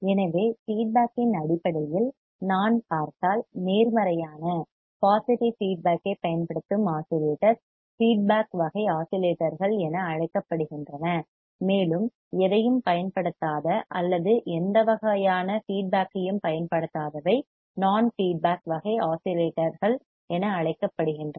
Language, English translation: Tamil, So, if I see based on the feedback the oscillators which use the positive feedback are called feedback type oscillators and those which does not use any or do not use any type of feedback are called non feedback type oscillators